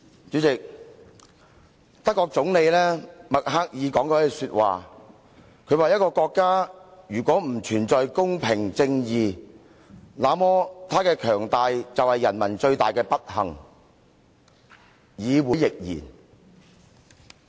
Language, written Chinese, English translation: Cantonese, 主席，德國總理默克爾曾經說過一句話，她說一個國家如果不存在公平、正義，那麼她的強大便是人民最大的不幸，議會亦然。, President the Chancellor of Germany Angela MERKEL once said to the effect that in a country where fairness and justice do not reign the greatest misfortune of its people would be their country becoming powerful and I would say that the same goes for a parliamentary assembly . I made it a point to add this last remark